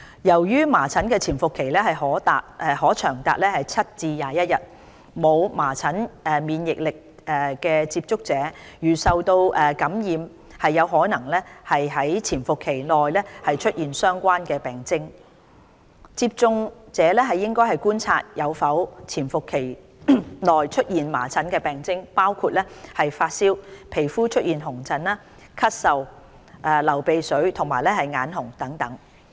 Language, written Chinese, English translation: Cantonese, 由於麻疹的潛伏期可長達7至21天，沒有麻疹免疫力的接觸者如受感染，有可能於潛伏期內出現相關病徵，因此接觸者應觀察有否於潛伏期內出現麻疹病徵，包括發燒、皮膚出現紅疹、咳嗽、流鼻水和眼紅等。, The incubation period of measles ranges from 7 days to up to 21 days . Contacts who are not immune to measles may develop relevant symptoms such as fever skin rash cough runny nose and red eyes in the incubation period . They should observe if they develop such symptoms in the period